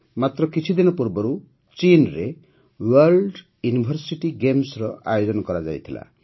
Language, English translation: Odia, A few days ago the World University Games were held in China